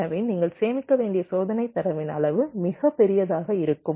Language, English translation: Tamil, so the volume of test data that you need to store can be pretty huge